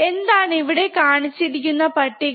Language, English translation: Malayalam, So, what is the table shown here